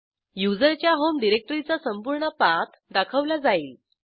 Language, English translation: Marathi, The full path of users home directory will be displayed